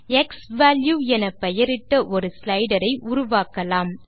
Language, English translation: Tamil, Now let us create a slider here named xValue